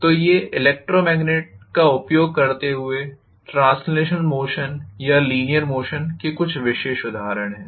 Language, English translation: Hindi, So these are typical examples of translational motion or linear motion using electromagnet